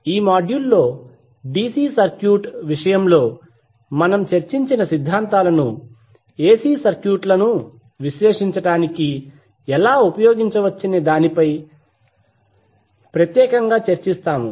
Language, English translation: Telugu, So what we will do in this module, we will discuss particularly on how the theorems which we discussed in case of DC circuit can be used to analyze the AC circuits